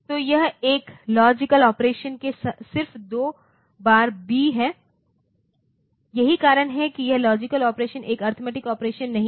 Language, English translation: Hindi, So, it is just B twice in a logical operation that is why it is not an arithmetic operation the logical operation